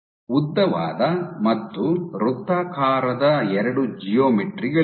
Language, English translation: Kannada, So, you have two geometries elongated and circular on work